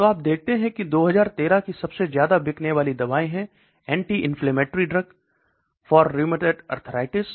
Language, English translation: Hindi, So you look that these the top selling drugs in 2013 is an anti inflammatory drug for rheumatoid arthritis